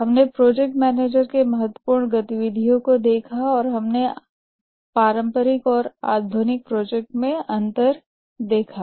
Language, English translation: Hindi, We'll look at the major activities of the project manager and we'll look at the traditional versus modern projects